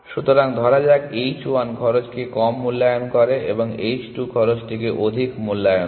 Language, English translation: Bengali, So, let us say h 1 underestimates the cost and h 2 overestimates the cost